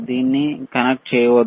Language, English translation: Telugu, Do not just keep it connected